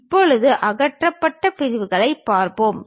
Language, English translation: Tamil, Now, let us look at removed sections